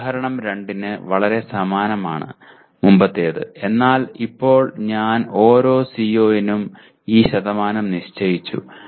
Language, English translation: Malayalam, Very similar to example 2; that the previous one but now I set these percentages for each CO